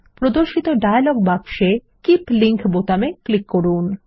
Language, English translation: Bengali, In the dialog box that appears, click on Keep Link button